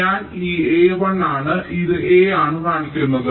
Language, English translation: Malayalam, this a is one and this a is three